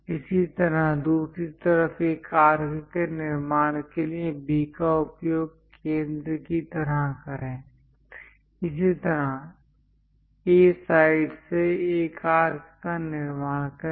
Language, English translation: Hindi, Similarly, use B as centre on the other side construct an arc; similarly, from A side, construct an arc